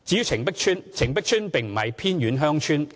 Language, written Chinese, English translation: Cantonese, 澄碧邨並不是偏遠鄉村。, Sea Ranch is not a remote village